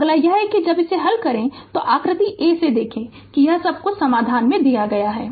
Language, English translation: Hindi, That next is you when you solve it look from figure a that is all this things solutions are given to you right